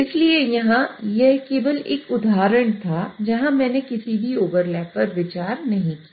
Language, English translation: Hindi, So here it was just an example where I did not consider any overlap